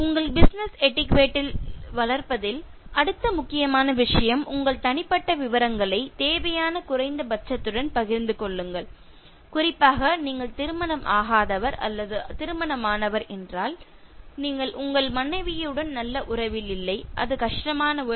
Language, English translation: Tamil, And the next important thing in terms of developing your business etiquette share your personal details to the minimum required, especially if you are not married or married and like you are not in good relationship with your spouse it is a strained relationship